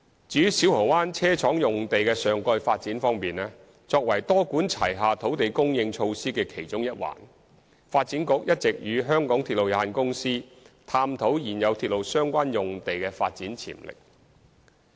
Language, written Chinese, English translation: Cantonese, 至於小蠔灣車廠用地的上蓋發展方面，作為多管齊下土地供應措施的其中一環，發展局一直與香港鐵路有限公司探討現有鐵路相關用地的發展潛力。, As regards the topside development at the Siu Ho Wan Depot Site as part of the multi - pronged strategy to increase land supply the Development Bureau has been working with the MTR Corporation Limited MTRCL to explore the development potential of railway - related sites